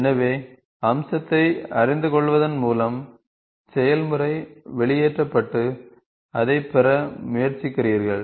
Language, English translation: Tamil, Just by knowing the feature you see now the process is pulled out and you try to get it